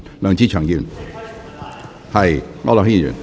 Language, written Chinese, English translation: Cantonese, 梁志祥議員，請提問。, Mr LEUNG Che - cheung please state your question